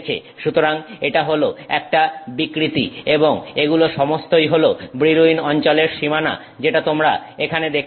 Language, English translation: Bengali, So, that is the distortion and these are all the Brill one zone boundaries that you can see